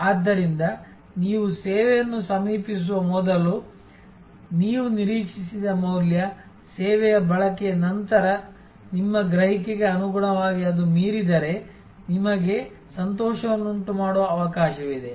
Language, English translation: Kannada, So, value that you expected before you approach the service, if that is exceeded as per your perception after the service consumption, then you have a chance for delighting